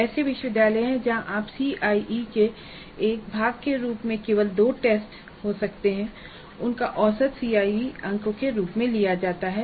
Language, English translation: Hindi, There are universities where you can conduct only two tests as a part of CIE and their average is taken as the CIE marks